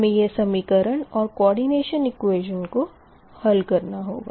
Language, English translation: Hindi, this equation is called coordination equation